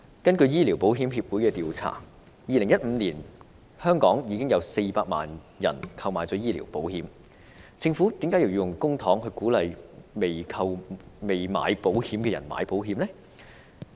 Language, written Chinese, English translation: Cantonese, 根據醫療保險協會的調查 ，2015 年香港已有400萬人購買了醫療保險，政府為何要用公帑鼓勵尚未購買醫療保險的人投保呢？, According to the survey of the Medical Insurance Association 4 million people in Hong Kong were already insured for health in 2015 . In this case why should the Government bother to incentivize those who are not insured to take out health insurance with the use of public money?